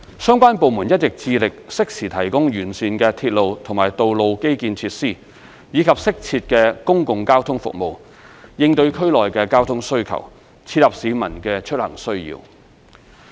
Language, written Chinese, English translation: Cantonese, 相關部門一直致力適時提供完善的鐵路和道路基建設施，以及適切的公共交通服務，應對區內的交通需求，切合市民的出行需要。, Relevant government departments have been striving hard to the timely provisioning of comprehensive railway and road infrastructure facilities as well as proper public transport services to cope with the traffic demands in the area thus meeting the travelling needs of the public